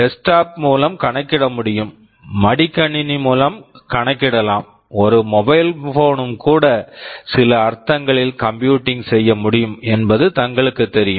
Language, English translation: Tamil, Like we know desktop can compute, a laptop can compute, a mobile phone can also compute in some sense